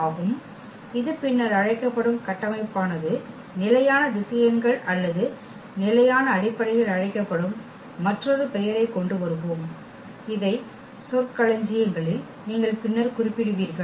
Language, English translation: Tamil, And the structure this is called the later on we will come up with another name this called the standard vectors or rather standard basis which you will refer later on this these terminologies